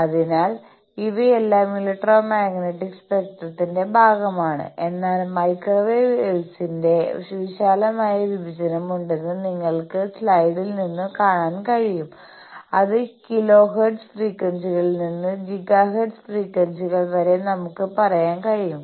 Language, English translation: Malayalam, So, all these are part of electromagnetic spectrum, but as you can see from the slide that there is a broad division of radio waves and micro waves, which roughly we can say from kilohertz sort of frequencies to gigahertz sort of frequencies